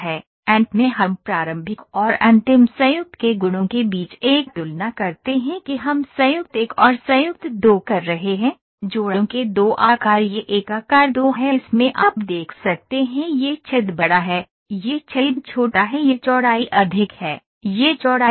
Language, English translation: Hindi, Finally we make a comparison between the properties of the initial and the final joint that we are doing joint one and joint two, the two shapes of joints this is shape one shape two in this you can see this hole is larger, this hole is smaller this width is higher, this width is lower